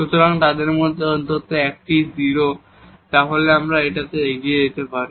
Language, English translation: Bengali, So, at least one of them s 0 then we can proceed in this way